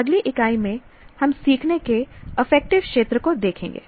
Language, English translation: Hindi, In the next unit, we will look at the affective domain of learning